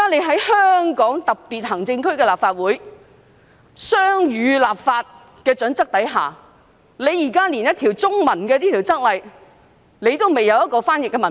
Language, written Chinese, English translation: Cantonese, 在香港特別行政區立法會的雙語立法準則下，政府所提交的《附則 II》竟然不備有中文譯本。, The Legislative Council of the Hong Kong Special Administrative Region adheres to the principle of bilingual legislative drafting . But the Annex II submitted by the Government is nevertheless stripped of a Chinese translation